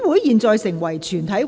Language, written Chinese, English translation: Cantonese, 現在成為全體委員會。, Council became committee of the whole Council